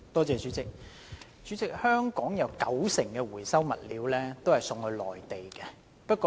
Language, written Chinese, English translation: Cantonese, 代理主席，香港的回收物料有九成送往內地。, Deputy President 90 % of Hong Kongs recyclables are shipped to the Mainland